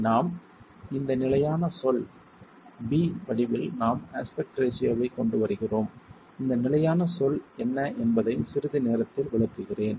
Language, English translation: Tamil, We bring in the aspect ratio in the form of this constant term B and I will explain what is this constant term in a moment